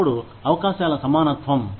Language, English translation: Telugu, Then, equality of opportunity